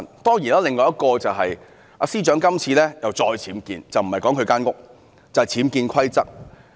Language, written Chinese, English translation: Cantonese, 當然，另一點就是司長這次再次僭建，說的不是她的房屋，而是僭建規則。, Another point is that the Secretary is constructing another unauthorized building works UBW now . The UBW I want to say is not her house; it is the UBW of the rules